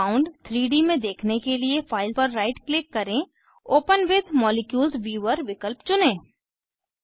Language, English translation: Hindi, To view the compound in 3D, right click on the file, choose the option Open with Molecules viewer